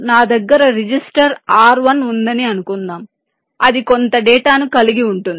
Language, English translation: Telugu, suppose i have a register r, one which hold some data